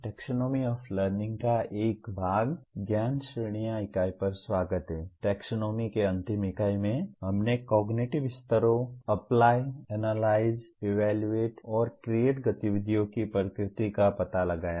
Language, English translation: Hindi, In the last unit on the taxonomy, we explored the nature of activities at cognitive levels, Apply, Analyze, Evaluate and Create